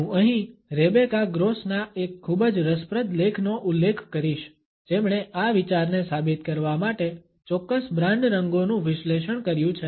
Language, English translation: Gujarati, I would refer here to a very interesting article by Rebecca Gross who has analyzed certain brand colors to prove this idea